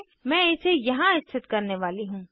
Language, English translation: Hindi, I am going to place it here